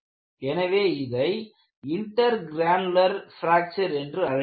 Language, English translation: Tamil, So, that is called intergranular fracture